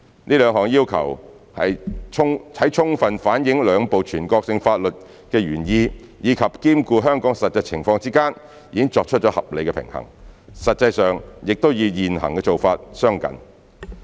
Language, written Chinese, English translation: Cantonese, 這兩項要求，在充分反映兩部全國性法律的原意及兼顧香港的實際情況之間，已作出了合理平衡，實際上亦與現行做法相近。, These two requirements have struck a balance between fully reflecting the intent of the two national laws and consideration of the actual circumstances in Hong Kong and are actually similar to what is currently being done